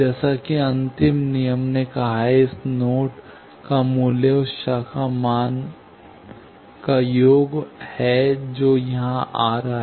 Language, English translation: Hindi, As the last rule said that, value of this node is sum of the branch values that are coming here